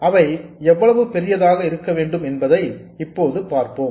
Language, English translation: Tamil, Now we will see exactly how large they have to be